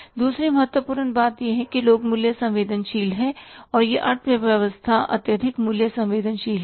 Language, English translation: Hindi, Second important thing is people are price sensitive in this economy is highly price sensitive